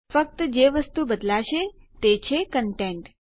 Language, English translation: Gujarati, The only thing that will change is the content